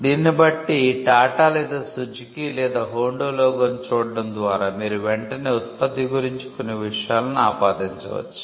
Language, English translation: Telugu, So, you could see the logo of say Tata or Suzuki or Honda and you can immediately attribute certain things about the product by just looking at the logo